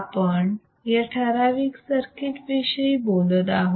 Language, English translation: Marathi, We are talking about this particular circuit